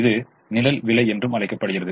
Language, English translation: Tamil, it's also called the shadow price